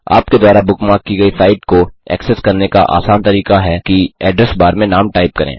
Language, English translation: Hindi, The easiest way, to access a site that you bookmarked, is to type the name in the Address bar